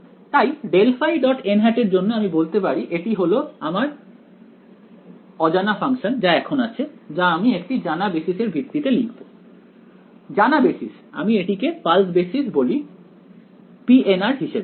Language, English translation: Bengali, So, for grad phi dot n hat I can say that this is now my unknown function which I will write in terms of a known basis; known basis I can let me call the pulse basis as p n of r ok